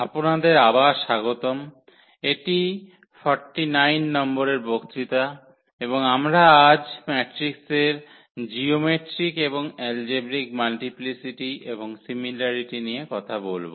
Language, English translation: Bengali, Welcome back, so this is lecture number 49 and we will be talking about today the geometric and algebraic multiplicity and the similarity of matrices